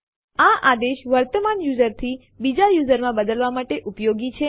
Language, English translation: Gujarati, This command is useful for switching from the current user to another user